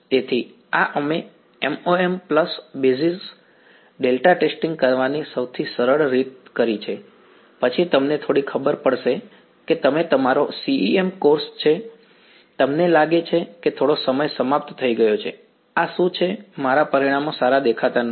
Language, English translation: Gujarati, So, this is what we did the simplest way of doing MoM pulse basis delta testing, then you get a little you know you are your CEM course, you feel a little of ended they are what is this my results are not looking good